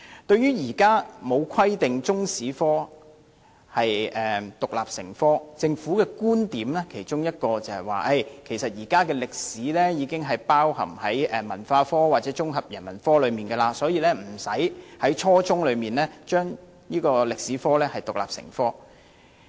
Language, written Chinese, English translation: Cantonese, 對於現時沒有規定中史獨立成科，政府其中一個觀點是，現在的中史課程已經包含在文化科或綜合人文科內，所以無須在初中時期規定中史獨立成科。, Regarding the present practice of not teaching Chinese History as an independent subject the Government is of the view that since the Chinese History curriculum has been integrated into the curricula of other cultural studies or the Integrated Humanities subject it is not necessary to stipulate Chinese History as an independent subject at junior secondary level